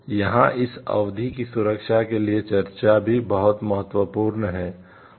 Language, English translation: Hindi, So, here in this discussion the duration of the protection is also very important